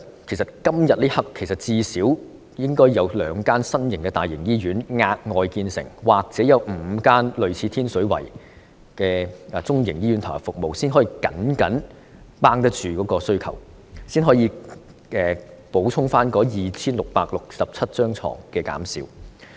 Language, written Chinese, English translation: Cantonese, 此刻，最少應該有兩間新的大型醫院額外建成，或有5間類似天水圍醫院的中型醫院投入服務，才能夠僅僅應付需求，補充減少的 2,667 張病床。, At this moment we should have the commissioning of at least two new large - scale hospitals or five medium - sized hospitals similar to Tin Shui Wai Hospital in order to just meet the demand and make up for the earlier reduction of 2 667 hospital beds